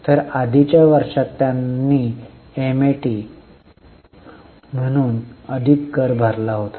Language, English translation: Marathi, So, in the earlier year they have paid more tax as a MAT